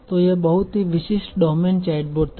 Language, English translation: Hindi, So this was very, very domain space fixed chatbot